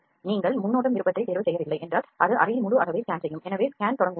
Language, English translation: Tamil, If you do not go or choose the preview option it will just scan the whole volume in the chamber, so let us start the scan